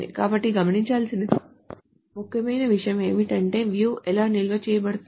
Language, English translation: Telugu, So important thing to note is that how are views stored